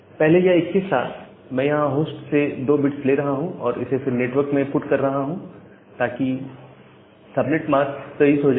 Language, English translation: Hindi, Earlier it was 21, I am taking 2 bit from the host and putting it at the network, so the subnet mask becomes 23